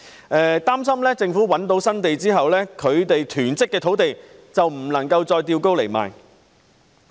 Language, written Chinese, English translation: Cantonese, 他們擔心政府覓得新土地後，便不能把其囤積的土地高價沽售。, They are worried that after the Government has secured new land they will be unable to sell the land hoarded by them at a high price